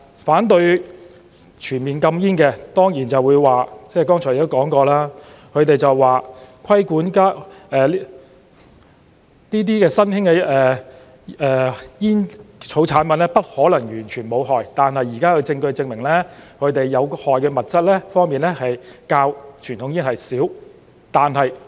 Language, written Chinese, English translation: Cantonese, 反對全面禁煙的，當然就會說——剛才亦說過了——他們說規管新興的煙草產品不可能完全無害，但現時的證據證明，它們的有害物質較傳統煙的少。, Those in opposition to a full ban on these products would definitely say as mentioned a while ago emerging tobacco products to be regulated could not be entirely harmless but the present evidence supports that these products contain fewer toxicants than conventional cigarettes